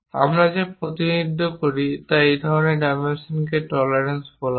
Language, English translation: Bengali, Such kind of dimensions what you represent are called tolerances